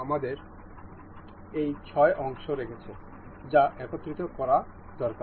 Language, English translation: Bengali, We have this six part needs to be assembled to each other